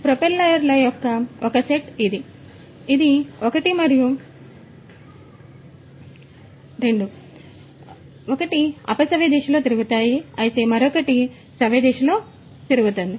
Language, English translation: Telugu, One set of propellers this, this one and this one, they rotate in a counterclockwise fashion whereas, the other set these two would rotate in the clockwise fashion